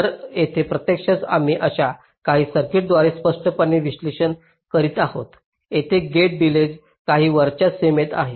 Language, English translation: Marathi, so here, actually we are implicitly analyzing some circuits where gate delays are within some upper bound